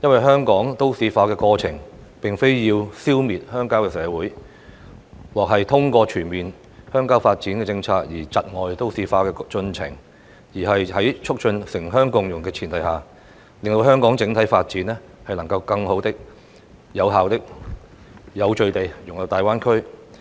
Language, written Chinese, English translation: Cantonese, 香港都市化的過程，並非要消滅鄉郊社會，而制訂全面鄉郊發展政策，亦非為窒礙都市化的進程，而是要在促進城鄉共融的前提下，讓香港整體發展能更好、有效及有序地融入大灣區。, The process of urbanization in Hong Kong does not aim at eliminating the rural community while the formulation of a comprehensive rural development policy is meant not to hinder the progress of urbanization but to facilitate better more effective and orderly integration of the overall development of Hong Kong into the Greater Bay Area on the premise of achieving urban - rural symbiosis